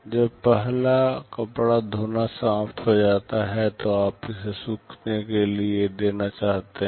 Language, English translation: Hindi, When the first cloth washing is finished, you want to give it for drying